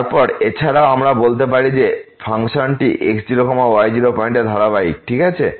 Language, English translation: Bengali, Then, also we can say that the function is continuous at naught naught point ok